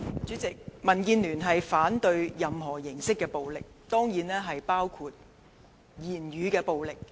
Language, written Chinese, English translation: Cantonese, 主席，民主建港協進聯盟反對任何形式的暴力，當然包括語言暴力。, President the Democratic Alliance for the Betterment and Progress of Hong Kong DAB opposes any form of violence certainly including verbal violence